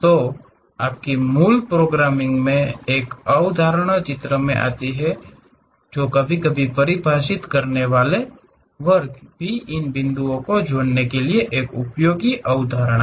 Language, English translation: Hindi, So, there your basic programming a concept comes into picture; sometimes defining class is also useful concept for this connecting these points